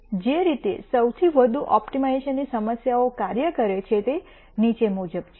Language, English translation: Gujarati, Now, the way most optimization problems work is the following